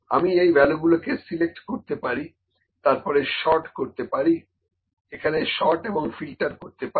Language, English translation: Bengali, I can select these values and then sort here sort and filter